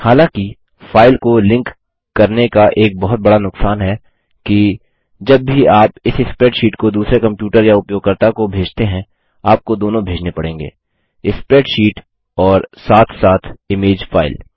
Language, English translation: Hindi, However, one major Disadvantage of linking the file is that, Whenever you want to send this spreadsheet to a different computer or user, You will have to send both, the spreadsheet as well as the image file